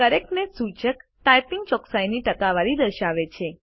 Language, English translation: Gujarati, The Correctness indicator displays the percentage correctness of typing